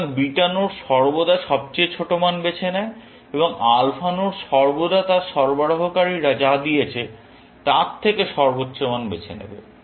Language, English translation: Bengali, So, beta nodes always choose the smallest value, and alpha node will always choose the highest value from what its suppliers have given